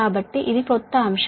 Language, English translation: Telugu, so this is a new topic started